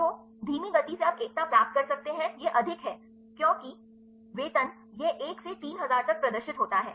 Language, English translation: Hindi, So, slow so you can get the unity it is more because salaries, it is displayed 1 to 3000